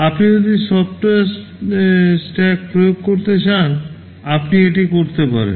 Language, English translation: Bengali, If you want to implement stack in software, you can do it